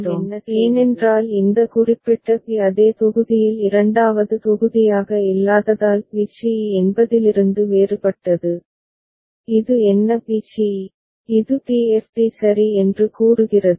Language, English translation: Tamil, We put a partition because a is different from b c e in terms of this particular b not being in the same block that is second block as it is what b c e, these states where it is d f d ok